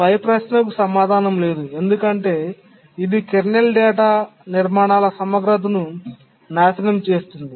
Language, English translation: Telugu, The answer is no because that will destroy the integrity of the kernel data structures